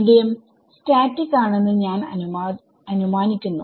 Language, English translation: Malayalam, So, we are assuming that the medium is static